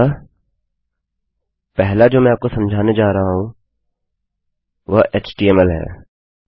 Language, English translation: Hindi, So the first one I am going to explain is this html